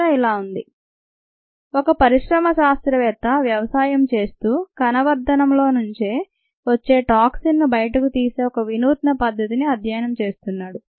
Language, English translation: Telugu, the question reads is: follows and industry scientist is studying a novel method of disposing a toxin that results from cells culture during the course of cultivation